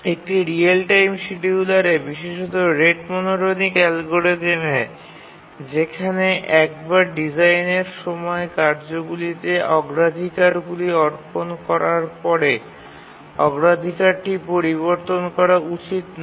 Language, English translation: Bengali, We have seen that the real time scheduler, especially the rate monotonic algorithm, there once we assign priorities to the tasks during design time, the priority should not change